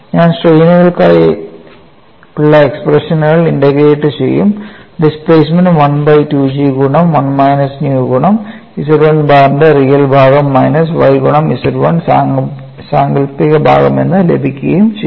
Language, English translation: Malayalam, I integrate the expressions for strains and get the displacement u as 1 by 2 G into 1 minus 2 nu multiplied by real part of Z 1 bar minus y imaginary part of Z 1